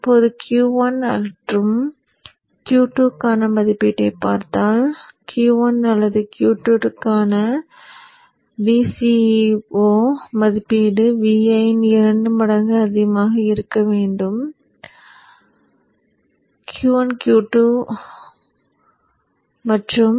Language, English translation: Tamil, Now if you look at the rating for Q1 or Q2, see the VCEO rating for either Q1 or Q2 is should be greater than 2 times VIN